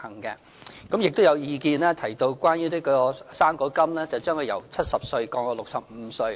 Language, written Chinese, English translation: Cantonese, 此外，有意見提到將"生果金"由70歲降至65歲。, Furthermore there are suggestions that the eligibility age for the fruit grant be lowered from 70 to 65